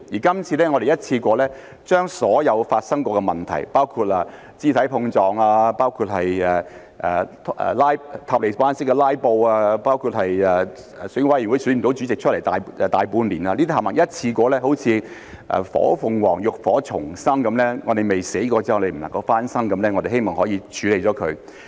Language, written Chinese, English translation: Cantonese, 今次我們一次過把所有曾經發生的問題，包括肢體碰撞、"塔利班式"的"拉布"、內務委員會大半年無法選出主席，這些全部一次過好像火鳳凰浴火重生般，我們未死過便不能夠重生，我們希望可以把它們處理了。, This time around we are dealing with all the problems that have occurred in one go including physical scuffles filibustering in Taliban - style as well as the House Committee being unable to elect its Chairman for almost half a year . We are dealing with these all in one go just like the rebirth of the phoenix rising up from the ashes . Rebirth is impossible before death and we hope to solve the problems